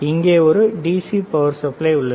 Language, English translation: Tamil, And here also is a DC power supply